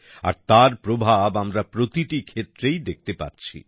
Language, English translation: Bengali, And today we are seeing its effect in every field